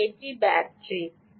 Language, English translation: Bengali, so this is the battery